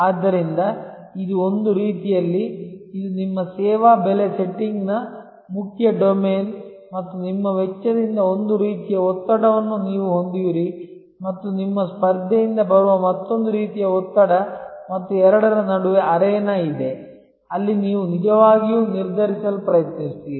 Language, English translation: Kannada, So, in some way one can see that as if, this is your main domain of service price setting and you have one kind of pressure coming from your cost and another kind of pressure coming from your competition and between the two is the arena, where you actually try to determine